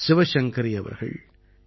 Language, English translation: Tamil, Shiv Shankari Ji and A